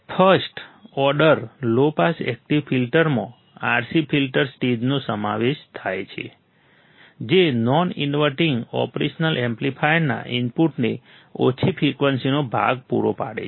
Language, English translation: Gujarati, The first order low pass active filter consists of RC filter stage providing a low frequency part to the input of non inverting operation amplifier